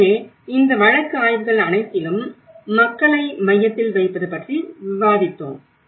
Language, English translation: Tamil, So, in all these case studies we have discussed about putting people in the centre